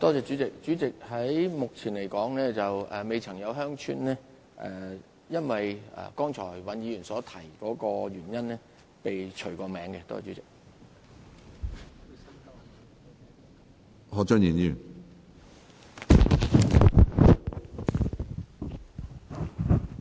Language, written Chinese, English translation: Cantonese, 主席，目前而言，不曾有鄉村因為剛才尹議員所提及的原因而被除名。, President no village has ever been delisted so far for the very reason mentioned by Mr WAN just now